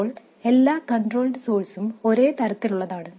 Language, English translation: Malayalam, Now every control source is of the same type